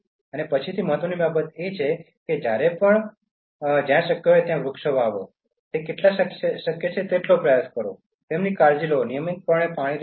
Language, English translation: Gujarati, And the next important thing is, plant trees whenever and wherever it is possible and how many it is possible try to do that, take care of them pour water regularly